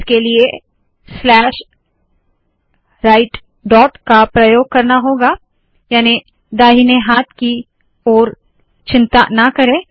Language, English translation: Hindi, The way to do that is to use what is known as slash right dot, that means dont worry about the right hand side